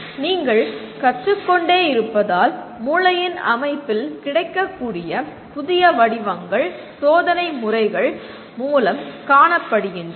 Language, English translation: Tamil, So, what was observed is as you keep learning, new patterns of organization in the brain are observed through available experimental methods